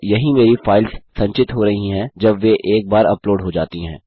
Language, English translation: Hindi, And this is where my files are being stored once they have been uploaded